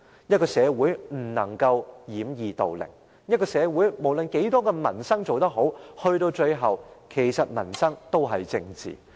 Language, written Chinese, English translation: Cantonese, 一個社會不能掩耳盜鈴，一個社會不論有多少民生事項做得好，最終民生都是政治。, We should not bury our head in the sand and no matter how many livelihood issues have been resolved in a society peoples livelihood is after all closely related to politics